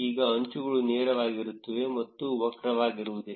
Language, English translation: Kannada, Now the edges will be straight and not curved